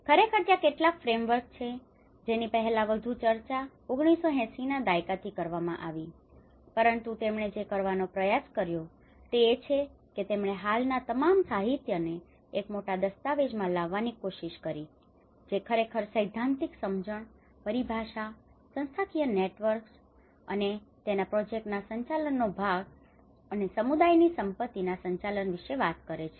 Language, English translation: Gujarati, Of course, there are been some frameworks which has been discussed much earlier from 1980s but what he tried to do is he tried to bring all of the current literature into 1 big document which actually talks from the theoretical understanding, the terminologies, the institutional networks, and the project management part of it, and the community asset management